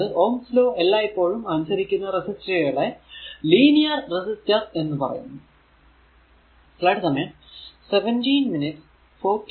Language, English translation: Malayalam, So, a is a resistor that always that obey is Ohm’s law is known as a linear resistor